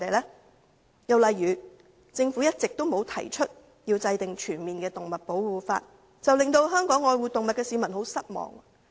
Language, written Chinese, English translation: Cantonese, 另一例子是，政府一直沒有提出制定全面的保護動物法，令愛護動物的香港市民十分失望。, One more example is that the Government has never proposed formulating a comprehensive animal protection law making the animal lovers in Hong Kong greatly disappointed